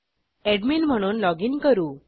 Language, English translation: Marathi, Let us login as the admin